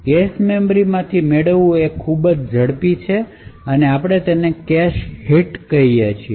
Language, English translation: Gujarati, So this fetching from the cache memory is considerably faster and we call it a cache hit